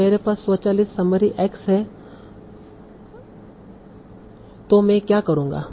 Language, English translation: Hindi, Now I have the automatic summary x